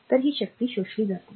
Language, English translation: Marathi, So, it is absorbed power